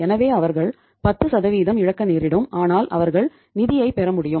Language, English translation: Tamil, So it means they have to lose 10% but they could get the funds